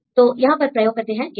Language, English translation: Hindi, So, here then we use this gap